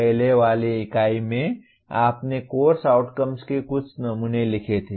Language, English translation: Hindi, In the earlier unit you wrote some samples of course outcomes